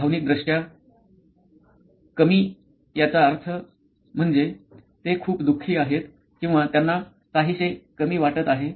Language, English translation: Marathi, Emotionally low meaning they are very sad or they are feeling a bit low